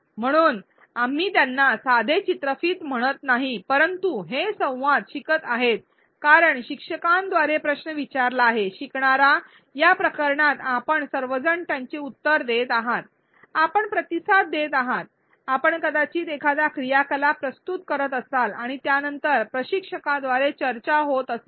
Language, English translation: Marathi, So, we do not call them simple videos, but these are learning dialogues because a question is posed by the instructor, the learner in this case the participants you are all answering them, you are responding, you may be submitting an activity and then there is a discussion by the instructor